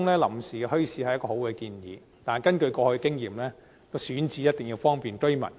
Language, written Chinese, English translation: Cantonese, 臨時墟市是一個好建議，但根據過往的經驗，選址一定要方便居民。, The setting up of temporary bazaars is a good suggestion but according to past experience the selected sites must be convenient to the residents